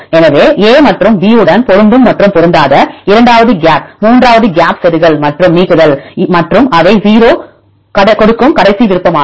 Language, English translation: Tamil, So, with the a and b with respect to match and mismatch the second one is the gap third is also gap insertion and a deletion and the last option they give 0